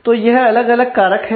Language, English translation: Hindi, So, these are different factors